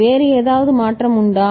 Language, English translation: Tamil, Is there any other change